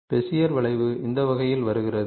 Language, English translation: Tamil, So, what is Bezier curves